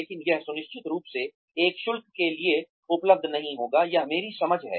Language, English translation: Hindi, But, it will certainly not be available, for a fee, that is my understanding